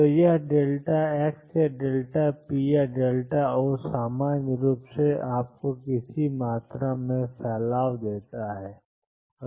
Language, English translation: Hindi, So, what this delta x or delta p or delta O in general gives you is the spread in any quantity